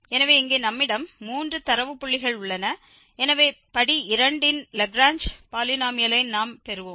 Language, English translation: Tamil, So, here we have three data points, so we will get Lagrange polynomial of degree 2